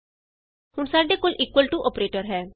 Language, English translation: Punjabi, we now have the equal to operator